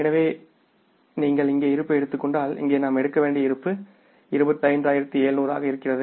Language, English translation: Tamil, So if you take the balance here, so what is the balance here we have to take is that is coming up as 25,700s